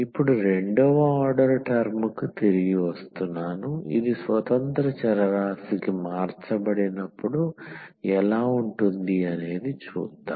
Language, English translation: Telugu, So, now coming back to the second order term how this will look like when converted to the said independent variable